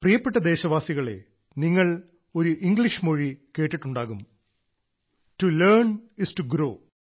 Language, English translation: Malayalam, My dear countrymen, you must have heard of an English adage "To learn is to grow" that is to learn is to progress